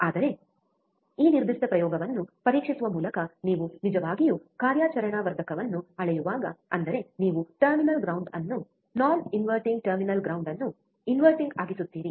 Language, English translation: Kannada, But when you actually measure the operational amplifier by testing this particular experiment, that is you keep inverting terminal ground, non inverting terminal ground